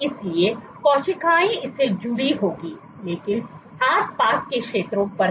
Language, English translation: Hindi, So, cells will attach to this, but not on the surrounding areas